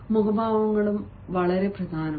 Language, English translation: Malayalam, the facial expressions are also very important